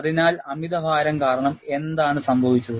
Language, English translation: Malayalam, So, because of overload, what has happened